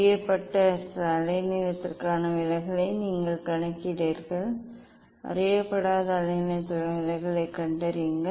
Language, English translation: Tamil, You calculate deviation for known wavelength ok, you calculate the deviation for unknown wavelength